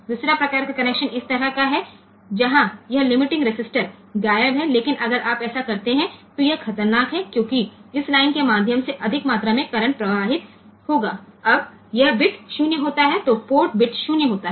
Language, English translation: Hindi, Second type of connection is like this where this limiting resistance is missing, but if you do this then there it is dangerous because a high amount of current will flow through this line, when this be this bit is 0 on port bit is 0